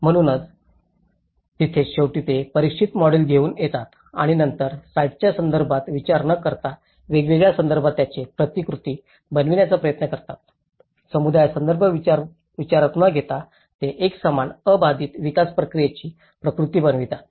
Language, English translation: Marathi, So, that is where, so finally, they end up and coming up with a tested model and then they try to replicate it in different contexts irrespective of the site context, irrespective of the community context they end up replicating a uniform unstandardized development process